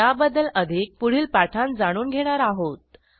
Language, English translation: Marathi, We will learn more about these in the coming tutorials